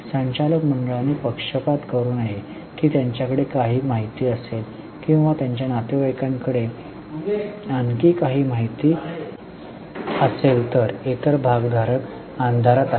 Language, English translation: Marathi, Board of directors should not do partiality, that they will have some information or their relatives will have some more information, while other stakeholders are kept in dark